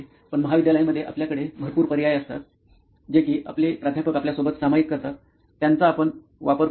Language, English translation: Marathi, But in college we have a lot of options, in that presentations which professor shares, that is something which you refer